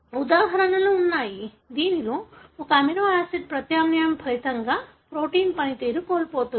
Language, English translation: Telugu, There are examples, wherein an amino acid substitution resulted in the loss of protein function